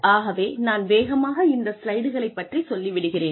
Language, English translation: Tamil, So, I will quickly go through the slides